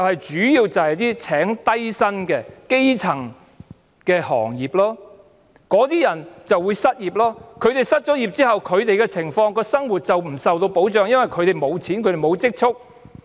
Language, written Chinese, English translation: Cantonese, 主要是聘請低薪人士的基層行業，那些人會失業，他們失業之後，生活不受保障，因為他們沒有錢、沒有積蓄。, They are mainly those basic level trades that employ lots of low - paid workers . These workers will lose their jobs . When they are unemployed their living will not be protected because they have neither money nor savings